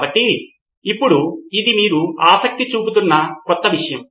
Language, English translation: Telugu, So, this is now your new area of interest